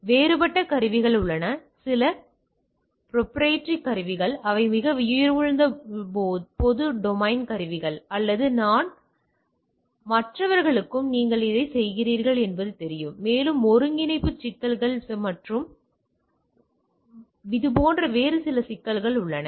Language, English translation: Tamil, So, there are different tools some are proprietary tool which are pretty costly public domain tools, but good, but others also knows that you are doing like this and there are integration problem and issues like that